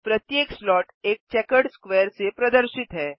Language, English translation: Hindi, Each slot is represented by a checkered square